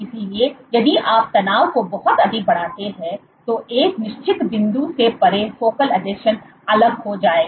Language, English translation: Hindi, So, if you increase the tension too much, then beyond a certain point focal adhesion will fall apart